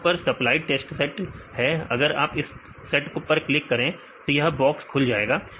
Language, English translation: Hindi, So, here this is the supplied test set if you give click on this set, then this box will open